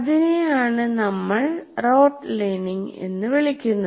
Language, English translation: Malayalam, That is what we call rote learning